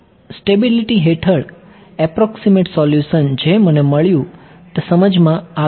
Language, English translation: Gujarati, Under stability, the approximate solution that I got I made sense